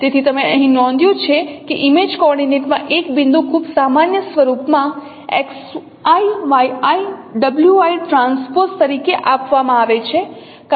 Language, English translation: Gujarati, So you note here that a point in the image coordinate is given in a very general form as x, y, i, w i transpose because it is denoting a column vector